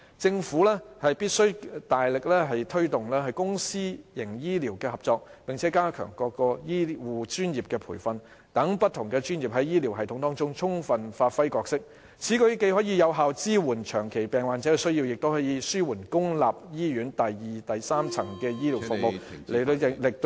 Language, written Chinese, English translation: Cantonese, 政府必須大力推動公私營醫療合作，並加強各醫護專業的培訓，讓不同專業在醫療系統中充分發揮角色，此舉既可有效支援長期病患者的需要，也可紓緩公立醫院第二及第三層醫療服務......, The Government must make an extra effort to promote public - private health care partnership and strengthen training of different health care specialists so that they can fully use their expertise to serve in the health care system . This can effectively support the needs of the chronically ill and relieve the secondary and tertiary health care services in public hospitals